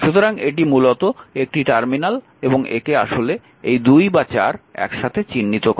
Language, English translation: Bengali, So, this is basically a 3 terminal, because this is common terminal 2 and 4 is a common terminal